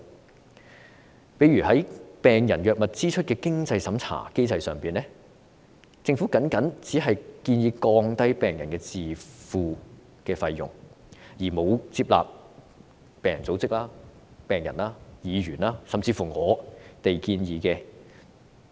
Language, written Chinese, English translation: Cantonese, 舉例來說，在病人藥物支出的經濟審查機制上，政府只建議降低病人的自付費用，沒有接納病人組織、病人、議員甚至我們的建議。, To quote an example regarding the means test mechanism for financial assistance on patients drug expenses the Government only proposes to lower the patients out - of - pocket spending without having accepted the recommendations from patient organizations patients Legislative Council Members or even us